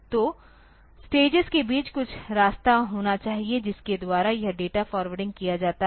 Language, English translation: Hindi, So, between the stages there should be some way by which this data is forwarded